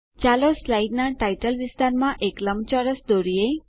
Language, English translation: Gujarati, Lets draw a rectangle in the Title area of the slide